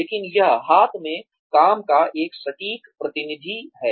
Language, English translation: Hindi, But, that is an accurate representative, of the task at hand